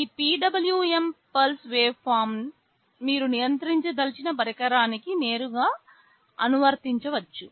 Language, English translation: Telugu, This PWM pulse waveform you can directly apply to the device you want to control